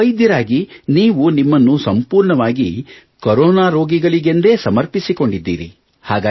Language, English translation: Kannada, As a doctor, you have dedicated yourself completely in the service of patients